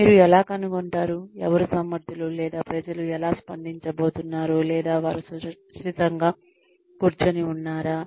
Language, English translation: Telugu, How do you find out, who is capable, or how people are going to react, or what they might need sitting in a safe